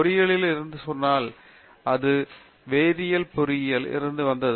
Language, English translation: Tamil, So, one is from engineering if you say, it came from Chemical Engineering